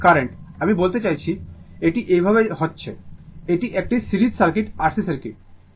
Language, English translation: Bengali, And this current i mean, it is flowing like this, it is series circuit R C circuit